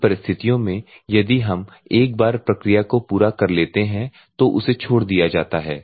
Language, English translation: Hindi, So, in these circumstances if we once the process is completed then it will be discharged